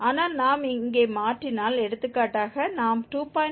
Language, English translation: Tamil, But if we change here, for example 2